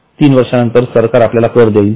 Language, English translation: Marathi, Does it mean after three years government will pay you tax